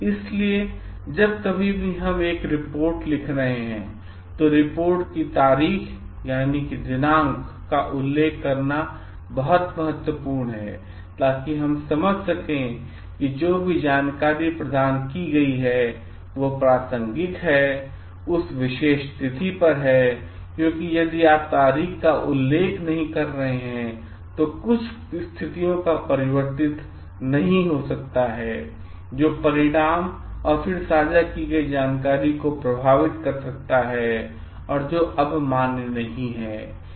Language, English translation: Hindi, So, whenever we are writing a report, it is very important to mention the date of the report, so that we can understand whatever information is been provided is relevant on that particular date because if you are not mentioning the date, then not certain situations may have changed which could have affected the result and the information shared then no longer remains valid